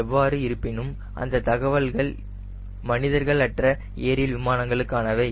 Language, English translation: Tamil, but how were the data will be for unmanned aerial vehicle